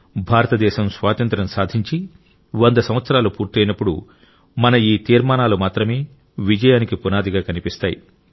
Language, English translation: Telugu, When India completes one hundred years of Independence, then only these resolutions of ours will be seen in the foundation of its successes